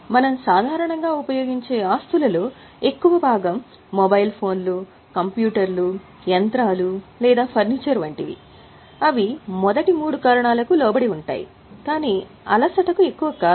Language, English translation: Telugu, Because most of the assets which we normally use like say mobile phones, computers, machinery or furniture, they are subject to first three reasons but not much to exhaustion